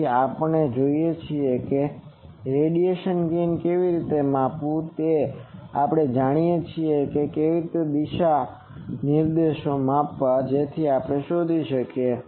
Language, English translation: Gujarati, So, we know how to measure gain we know how to measure directivity so we can find that